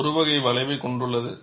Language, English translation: Tamil, It is having a curvature